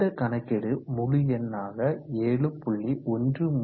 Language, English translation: Tamil, So this works out this 7